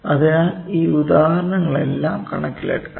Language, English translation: Malayalam, So, all those examples can also be taken into account